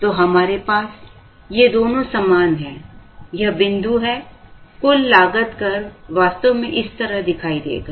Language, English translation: Hindi, So, we will have, these two are equal, so this is the point, so the total cost curve will actually look like this, so this is how the total cost curve will look like